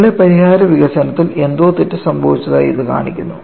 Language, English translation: Malayalam, This shows something has gone wrong in our solution development